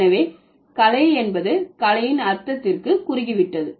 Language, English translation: Tamil, So, art has narrowed down to the meaning of only art